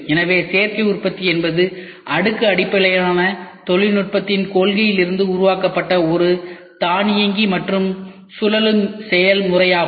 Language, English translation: Tamil, So, Additive Manufacturing is an automated and revolving process developed from the principle of layer based technology